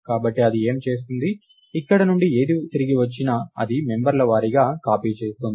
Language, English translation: Telugu, So, what it would do is, whatever is returned from here, it does member wise copy